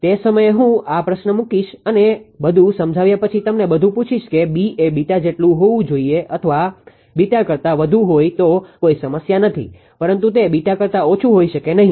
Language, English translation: Gujarati, At that time, I will put this question and ask you after explaining everything B should B is equal to beta even greater than beta no problem, but it cannot be less than beta, right